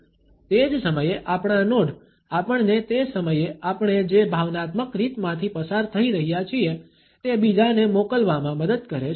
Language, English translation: Gujarati, At the same time our nods help us to pass on what we are emotionally going through at that time